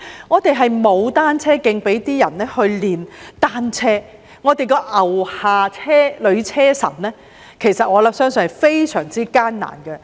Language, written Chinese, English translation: Cantonese, 我們沒有單車徑給他們練習，而我相信"牛下女車神"的訓練也是非常艱難的。, There are no cycle tracks for them to practise and I believe the Cycling Queen of Ngau Tau Kok Lower Estate also has a tough time finding venues for training